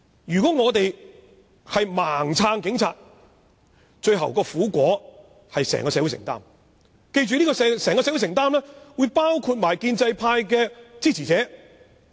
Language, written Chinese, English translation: Cantonese, 如果我們盲目支持警察，最後的苦果便要由整個社會承擔，包括建制派支持者。, If we blindly support the Police the painful consequence will eventually have to be borne by the entire community including supporters of the pro - establishment camp